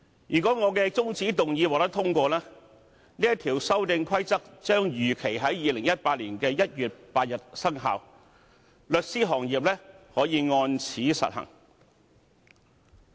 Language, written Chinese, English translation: Cantonese, 如果我的中止待續議案獲得通過，《修訂規則》將如期在2018年1月8日生效，律師行業可按此實行。, If the adjournment motion I moved is passed the Amendment Rules will come into operation as scheduled on 8 January 2018 and the legal profession can enforce the Amendment Rules accordingly